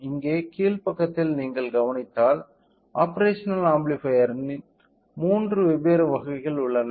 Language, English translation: Tamil, So, here on the bottom side if you observe there are three different variants of operational amplifier